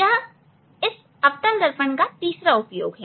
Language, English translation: Hindi, this is the third use of this concave mirror